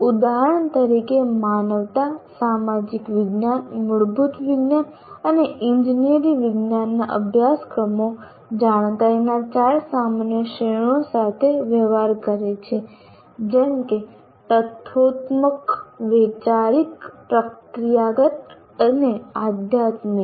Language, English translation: Gujarati, For example, courses in humanities, social sciences, basic sciences, courses in humanities, social sciences, basic sciences and engineering sciences deal with the four general categories of knowledge, namely factual, conceptual, procedural and metacognitive